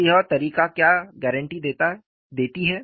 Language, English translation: Hindi, So, what does this method guarantee